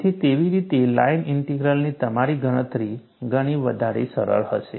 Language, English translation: Gujarati, So, that way, your computation of the line integral would be a lot more simpler